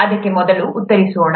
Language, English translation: Kannada, Let’s answer that first